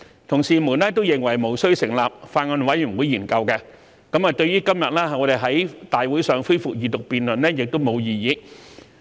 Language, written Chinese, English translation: Cantonese, 同事們都認為無須成立法案委員會研究，對於今天我們在立法會會議上恢復二讀辯論亦無異議。, My fellow colleagues considered it not necessary to form a Bills Committee to study the Bill and raised no objection to the resumption of its Second Reading debate at the Council meeting today